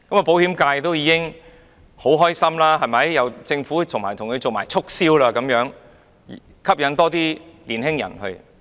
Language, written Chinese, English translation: Cantonese, 保險界也十分開心，有政府替他們促銷，吸引更多年輕人購買自願醫保。, The insurance sector is also happy as the Government promotes health insurance for them and incentivizes young people to purchase VHIS policies